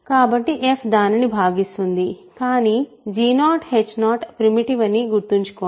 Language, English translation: Telugu, So, f divides that, but remember g 0 h 0 are primitive